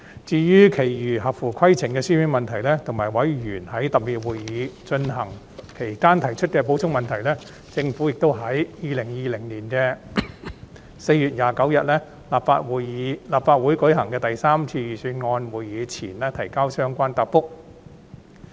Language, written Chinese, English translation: Cantonese, 至於其餘合乎規程的書面質詢，以及委員在特別會議進行期間提出的補充質詢，政府已在2020年4月29日立法會舉行的第三次預算案會議前提交相關答覆。, As for the remaining written questions that were compliant with the Rules of Procedure as well as the supplementary questions raised by Members during the special meetings the Administrations replies to these questions were submitted before the third Budget meeting on 29 April 2020